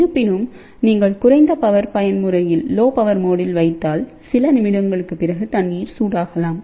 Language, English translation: Tamil, However, if you put on the lower power mode, the water may get heated after several minutes